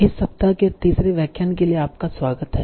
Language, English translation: Hindi, So, welcome back for the third lecture of this week